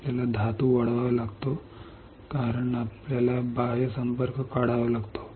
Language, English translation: Marathi, We have to grow a metal because we have to take out the external contact right